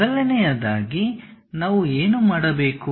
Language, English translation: Kannada, First thing, what we have to do